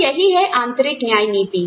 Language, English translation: Hindi, So, that is internal equity